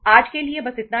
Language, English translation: Hindi, This is all for today